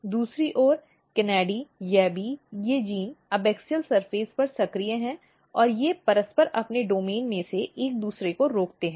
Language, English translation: Hindi, On the other hand KANADI, YABBY these genes are active on the abaxial surface and they mutually inhibit each others in their domain